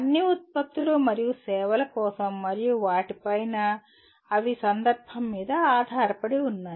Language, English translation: Telugu, For all products and services and on top of that they are context dependent